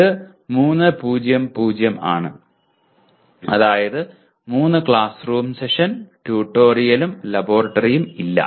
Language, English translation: Malayalam, It is 3:0:0 that means 3 classroom session, no tutorial and no laboratory